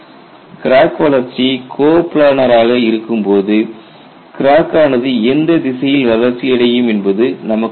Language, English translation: Tamil, When the crack growth is going to be coplanar there is no question of which direction the crack will grow